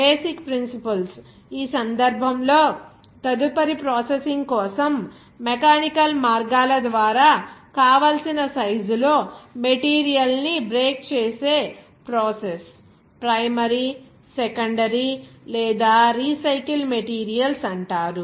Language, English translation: Telugu, Basic principles, in this case, the process of breaking up material into the desired size by mechanical means a number of phases are called primary, secondary or recycled materials for direct use further processing